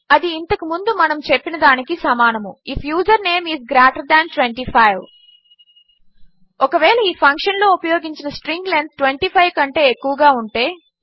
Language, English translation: Telugu, And that is going to be what we said before, if username is greater than 25 Rather if the string length used in this function is greater than 25..